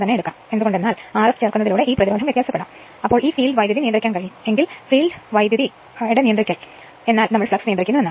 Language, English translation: Malayalam, Because if by inserting R f dash right this resistance you can vary hence you can hence you can control the field current this I f, field current controlling means we are controlling the flux right